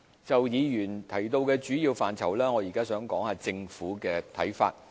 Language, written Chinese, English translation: Cantonese, 就議員提到的主要範疇，我現在談談政府的看法。, I will now talk about the Governments view on the main areas mentioned by Members